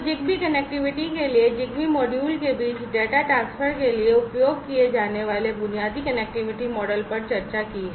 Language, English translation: Hindi, So, for ZigBee connectivity, the basic connectivity model that will be used for data transfer between the ZigBee modules is discussed